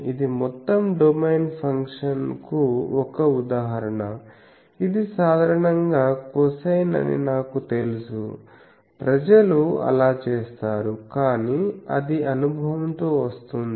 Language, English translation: Telugu, So, this is an example of an Entire domain function that, if I know that typically it is cosine then people do that, but that comes with experience etc